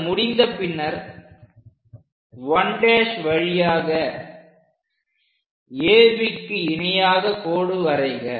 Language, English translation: Tamil, Once that is done, through 1 dash draw a line parallel to AB